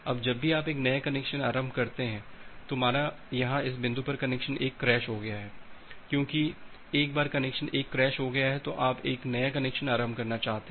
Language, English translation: Hindi, Now whenever you are initiating a new connection say at this point, connection 1 got crashed here, so once connection 1 got crashed you want to initiate a new connection